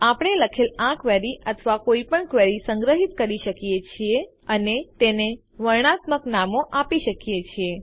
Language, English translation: Gujarati, We can save this query or any query we write and give them descriptive names